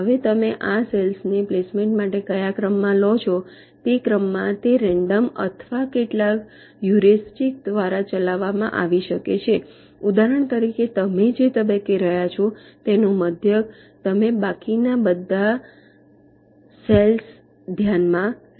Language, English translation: Gujarati, now, the order in which you take these cells for placement: it can be either random or driven by some heuristics, like, for example, ah mean at every stage you have been, you consider all the remaining cells